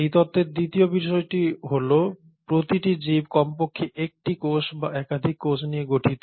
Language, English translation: Bengali, Also the second point of this theory is each organism, each living organism is made up of at least one cell or more than one cell